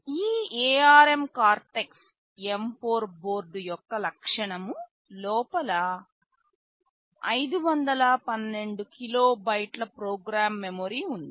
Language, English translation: Telugu, The feature of this ARM Cortex M4 board is, inside there is 512 kilobytes of program memory